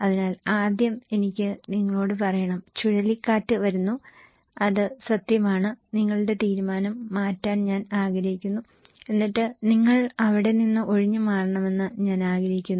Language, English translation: Malayalam, So, first I need to tell you that cyclone is coming and that is true and I want to change your decision and then I want you to evacuate from that place okay